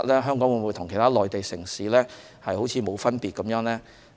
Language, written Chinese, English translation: Cantonese, 香港會否與其他內地城市沒分別？, Will Hong Kong be no different from other Mainland cities?